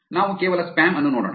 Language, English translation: Kannada, Let us look at just the spam